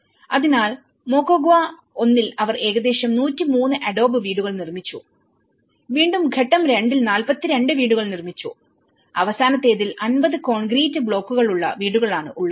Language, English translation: Malayalam, So, in Moquegua one, they constructed about 103 adobe houses and this is again 42 houses in stage two and in the last one is a 50 concrete block houses